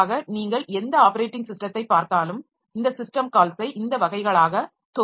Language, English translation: Tamil, So, if you look into any operating system, so this other system calls, they can be grouped into these categories